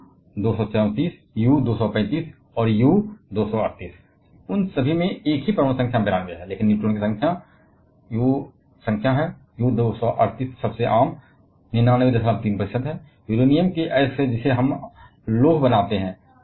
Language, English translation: Hindi, U 234, U 235 and U 238 all of them are having the same atomic number which is 92, but the number of neutrons is, U 238 is the most common one which comprises 99